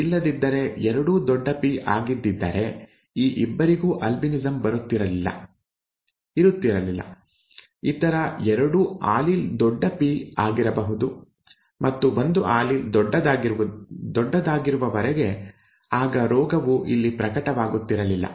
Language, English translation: Kannada, if both had been capital P then these 2 people would not have had albinism, theÉ both the other allele would have been capital P and as long as one allele was capital then the disease would not have been manifested here